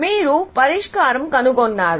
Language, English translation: Telugu, So, you have the solution now